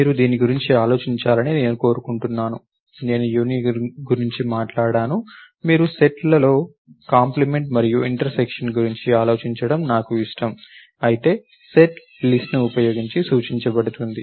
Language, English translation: Telugu, I want you to think about this, I talked about union, I like you to think about complement and intersection on sets, whereas set is represented using a list